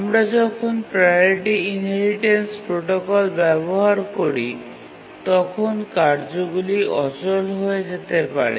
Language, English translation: Bengali, So when we use the basic priority inheritance scheme, the tasks may get deadlocked